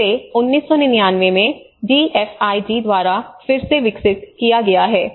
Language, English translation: Hindi, This has been developed again by the DFID in 1999